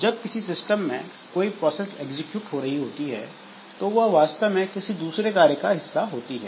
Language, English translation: Hindi, So, processes when they are executing in a system, so they are actually part of some job